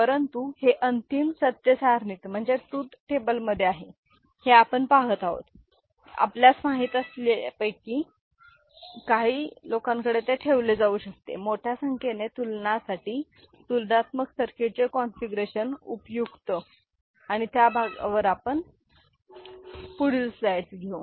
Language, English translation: Marathi, But, because this is there in the final truth table we can see that it can be put to some you know, useful now configuration of comparator circuit for larger number of bit comparison and that part we shall take up in subsequent slides